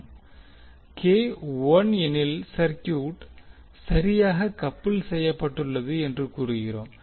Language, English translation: Tamil, So if k is 1, we will say that the circuit is perfectly coupled